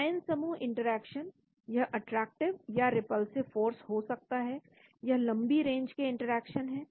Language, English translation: Hindi, The ion pairing interaction it can be attractive or repulsive force; they are long range interaction